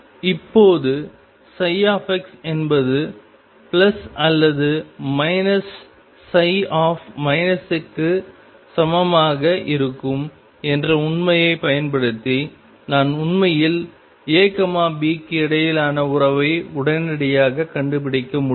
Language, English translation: Tamil, Now using the fact that psi x is going to be equal to plus or minus psi minus x I can actually find the relationship between a B immediately